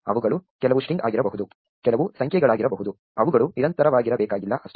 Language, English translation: Kannada, They could some could be string, some could be numbers, they need not be continuous that is all